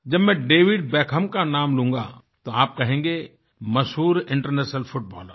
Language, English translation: Hindi, If I now take the name of David Beckham, you will think whether I'm referring to the legendary International Footballer